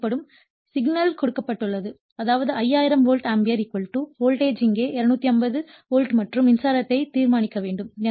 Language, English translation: Tamil, So, KVA it is given in the problem it is given 5 KVA; that means, 5000 volt ampere = voltage is 250 volt here and current you have to determine